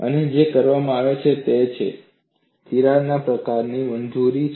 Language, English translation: Gujarati, And what is done is the crack is allowed to propagate